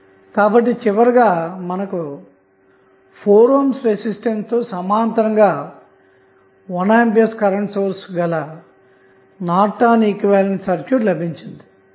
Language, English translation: Telugu, So, finally you got the Norton's equivalent where you have 1 ampere in parallel with 4 ohm resistance